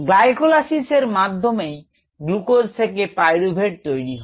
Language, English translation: Bengali, the glycolysis itself is suppose to be from glucose to pyruvate